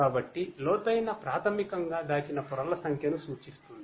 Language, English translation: Telugu, So, deep basically refers to the number of hidden layers